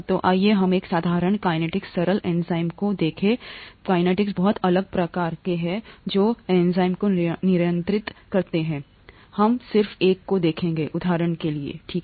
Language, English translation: Hindi, So let us look at a simple kinetics, simple enzyme kinetics, there are very many different kinds of kinetics, which are, which govern enzyme action; we will just look at one, for example, okay